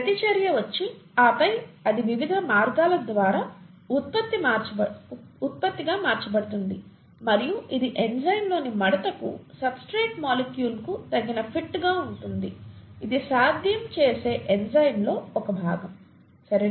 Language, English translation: Telugu, The reactant comes and sits there and then it gets converted to a product by various different means and it is the appropriate fit of the substrate molecule to the fold in the enzyme, a part of the enzyme that makes this possible, okay